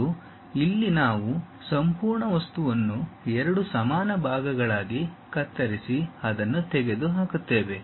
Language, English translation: Kannada, And, here the entire object we are slicing it into two equal parts and remove it